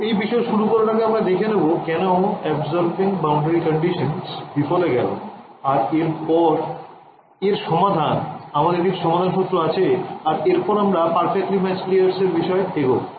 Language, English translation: Bengali, So, to motivate this first we will start with a why do absorbing boundary conditions fail and then the remedy ok, we have some motivation and then we come to perfectly matched layers